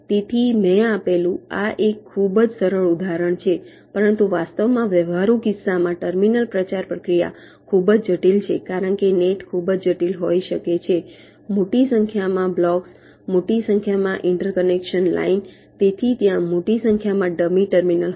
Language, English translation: Gujarati, but actually in a practical case the terminal propagation process is very complex because the net can be pretty complicated: large number of blocks, large number of inter connection lines, so there will be large number of dummy terminals